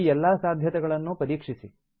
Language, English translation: Kannada, Explore all these possibilities